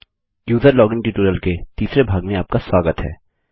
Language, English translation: Hindi, Welcome to the 3rd part of our User login tutorial